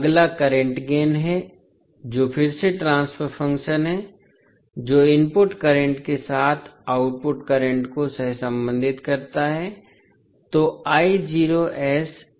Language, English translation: Hindi, Next is current gain that is again the transfer function which correlates the output current with input current